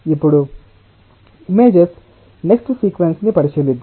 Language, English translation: Telugu, then let us look in to the next sequence of images